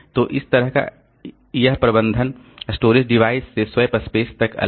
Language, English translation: Hindi, One is storage device management, another is swap space management